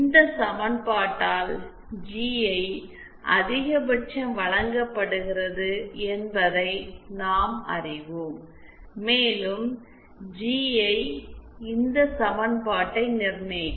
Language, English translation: Tamil, Then we know that GI max is given by this equation, and GI will verify this equation